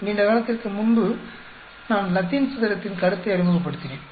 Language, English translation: Tamil, If you remember long time back, I introduced concept of Latin square